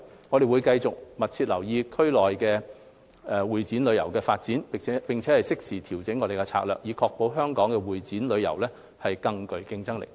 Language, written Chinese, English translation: Cantonese, 我們會繼續密切留意區內會展旅遊業的發展，並適時調整策略，確保香港會展旅遊業更具競爭力。, We will continue to closely monitor the development of MICE tourism in the region and adjust our strategies in a timely manner to maintain the competiveness of Hong Kongs MICE tourism